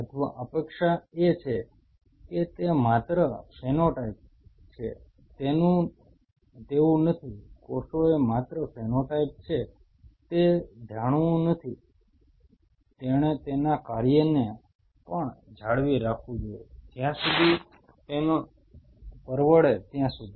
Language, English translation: Gujarati, Or anticipation is that it should not only maintains it is phenotype the cells should not only maintain it is phenotype it should be able to maintain it is functionality as far as it can afford